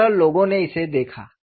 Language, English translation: Hindi, So, this is the way people have looked at it